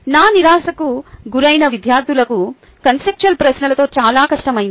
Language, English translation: Telugu, to my dismay, students had great difficulty with conceptual questions